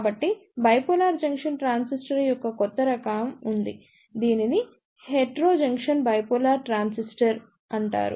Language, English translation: Telugu, So, there is a new type of Bipolar Junction Transistor that is known as Heterojunction Bipolar Transistor